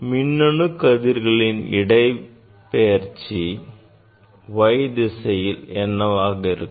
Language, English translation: Tamil, displacement of the electron beam we got along the y axis